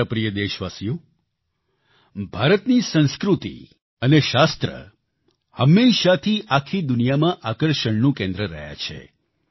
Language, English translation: Gujarati, India's culture and Shaastras, knowledge has always been a centre of attraction for the entire world